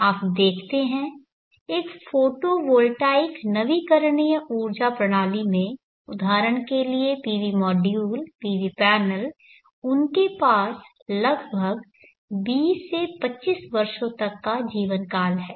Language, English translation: Hindi, You see in a photo world types in the systems take for example the PV modules the PV panels, they have the lifetime for around 20 to 25 years